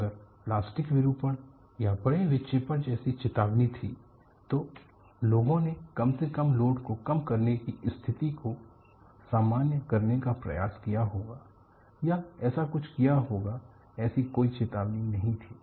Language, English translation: Hindi, See there had been a warning like plastic deformation or large deflection; people would have at least attempted to diffuse a situation by reducing the load, or do some such thing; it was no warning